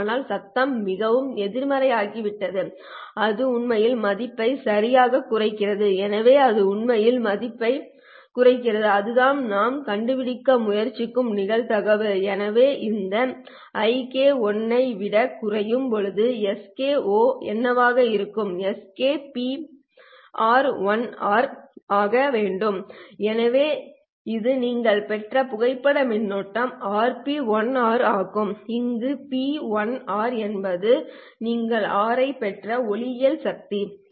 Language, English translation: Tamil, So it actually dips the value and that is the probability that we are trying to find out so when this i k1 becomes less than it h and what would be s k oh well s k should be r p1 r right so this is the photo current that you have obtained is r into p1 r where p1 r is the optical power that you have received r stands for for the responsivity